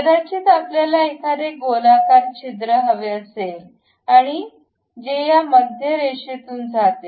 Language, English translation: Marathi, Maybe a circular hole we would like to have and it supposed to pass through center line